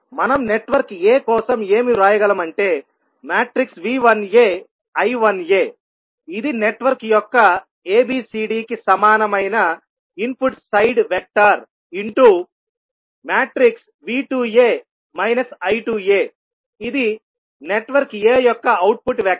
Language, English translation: Telugu, We can write for network a as V 1a I 1a are the input side vector equal to ABCD of network a into V 2a and minus I 2a that is the output vector for the network a